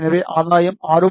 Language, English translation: Tamil, So, you see the gain is 6